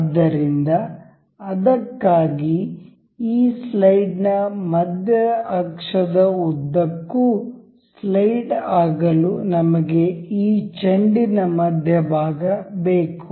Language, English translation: Kannada, So, for that we have we need the center of this ball to slide along the center axis of this slide